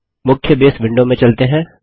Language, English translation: Hindi, Let us go to the main Base window